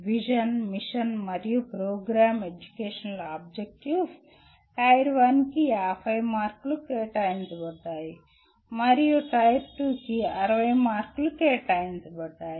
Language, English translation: Telugu, Vision, Mission, and Program Educational Objectives Tier 1 carriers 50 marks and Tier 2 carries 60 marks